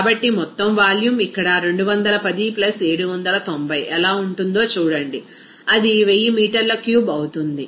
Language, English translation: Telugu, So, total volume, see what will be that here 210 + 790, it will be 1000 meter cube